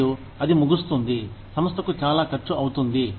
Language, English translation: Telugu, And, that may end up, costing the organization, a lot